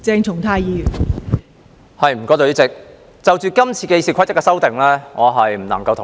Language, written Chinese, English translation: Cantonese, 代理主席，就今次對《議事規則》所作的修訂，我不能同意。, Deputy President I cannot agree with the amendments made to the Rules of Procedure RoP this time